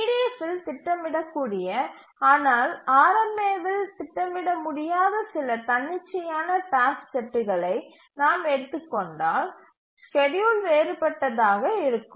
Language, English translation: Tamil, So can we take some arbitrary task set which is schedulable in EDF but not schedulable in RMA and then the schedule will be different